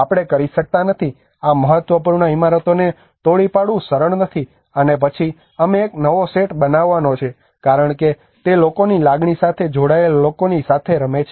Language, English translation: Gujarati, We cannot, it is not easy to demolish these important buildings and then we are going to construct a new set of image because it is to play with the peoples emotions peoples belonging